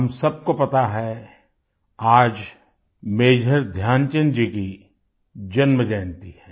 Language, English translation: Hindi, All of us know that today is the birth anniversary of Major Dhyanchand ji